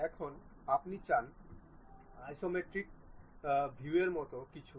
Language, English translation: Bengali, Now, you would like to have something like isometric view